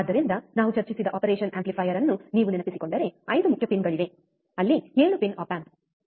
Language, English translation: Kannada, So, if you remember the operation amplifier we have discussed, there are 5 main pins of course, there 7 pin op amp